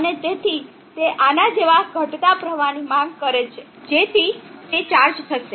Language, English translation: Gujarati, And therefore, it demands a sinking current like this, so that it gets charged up